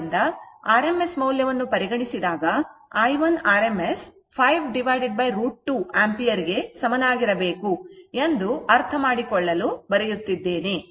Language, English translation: Kannada, So, i 1 I am writing for your understanding i 1 rms should be is equal to 5 by root 2 ampere, right